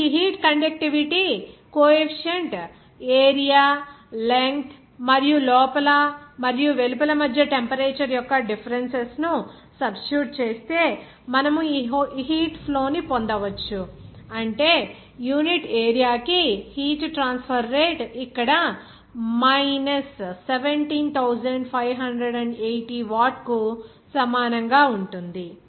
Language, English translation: Telugu, Now, substituting these values of this heat conductivity coefficient, the area, the length and the difference of the temperature between the inside and outside, you can get this heat flux, that is heat transfer rate per unit area that will be is equal to here minus 17580 watt